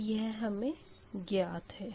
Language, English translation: Hindi, so these are the things